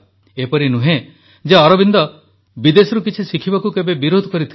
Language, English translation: Odia, It is not that Sri Aurobindo ever opposed learning anything from abroad